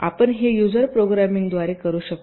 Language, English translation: Marathi, you can do it with user programming